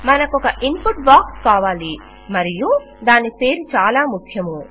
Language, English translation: Telugu, Were going to need an input box and its name is very important